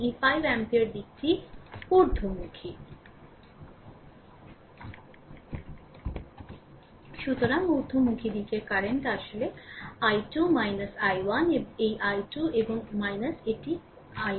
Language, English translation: Bengali, And this 5 ampere direction is upward, so upward direction current is actually i 2 minus i 1 this i 2 and minus a i 1 right